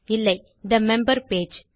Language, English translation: Tamil, no, the member page